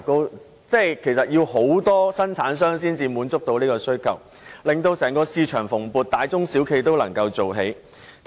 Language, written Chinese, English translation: Cantonese, 換言之，其實需要大量生產商才能滿足這種需求，整個市場也會很蓬勃，大中小企均能立足。, In other words a huge amount of toothpaste will have to be produced to satisfy this level of demand . The whole market will be livened up and big medium - sized and small businesses will all prosper